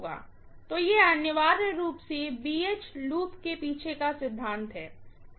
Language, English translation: Hindi, So, this is essentially the principle behind BH loop, right